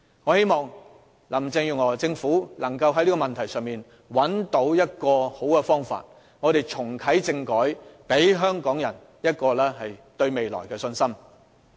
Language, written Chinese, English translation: Cantonese, 我希望林鄭月娥政府能在這個問題上找到出路，重啟政改，讓香港人對未來充滿信心。, I hope the Carrie LAM Administration will be able to find the way out in this regard and reactivate constitutional reform so that we will have much more confidence in the future of Hong Kong